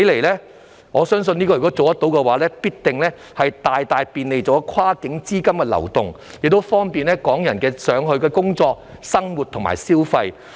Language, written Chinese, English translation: Cantonese, 如果成事，我相信必定能夠大大便利跨境資金的流動，亦方便香港人到內地工作、生活和消費。, If this can be done I am sure it will greatly facilitate the flow of funds across the border and make it easier for Hong Kong people to work live and spend money in the Mainland